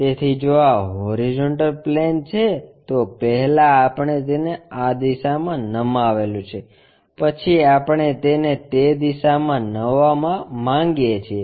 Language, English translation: Gujarati, So, if this is the horizontal plane, first we have tilted it in that direction then we want to tilt it in that direction